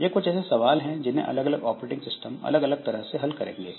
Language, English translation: Hindi, So, this is, so different operating systems will handle them differently